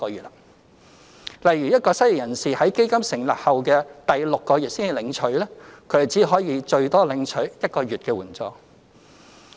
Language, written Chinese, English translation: Cantonese, 例如一個失業人士在基金成立後第六個月才領取，他便只可以最多領取1個月援助。, To illustrate an unemployed person applying for the assistance in the sixth month upon the funds establishment will only receive the payment for one month at most